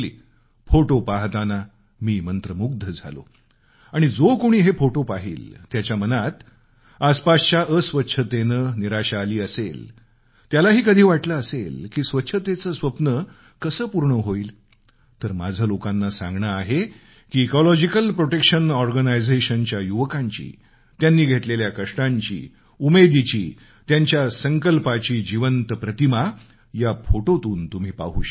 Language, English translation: Marathi, I was overwhelmed on seeing these and whoever will see these photographs, no matter how upset he is on witnessing the filth around him, and wondering how the mission of cleanliness will be fulfilled then I have to tell such people that you can see for yourself the toil, resolve and determination of the members of the Ecological Protection Organization, in these living pictures